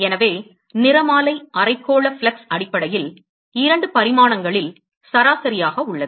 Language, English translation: Tamil, And so, spectral hemispherical flux is essentially, averaging over the two dimensions